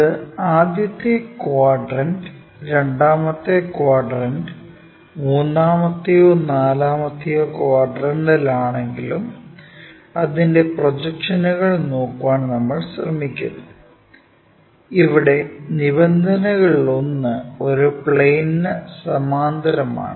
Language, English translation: Malayalam, Whether, it might be in the first quadrant, second quadrant, third or fourth quadrant, we try to look at its projections where one of the condition is the line is parallel to one of the planes